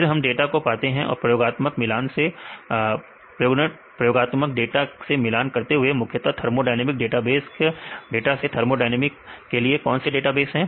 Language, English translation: Hindi, Then we obtain the data then compare with the experiments mainly the data from thermodynamic database, what is database for the thermodynamics